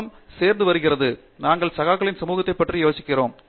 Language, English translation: Tamil, World does get along, we spoke about peer community and so on